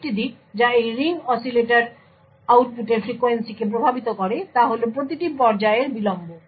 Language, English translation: Bengali, Another aspect which influences the frequency of this ring oscillator output is the delay of each stage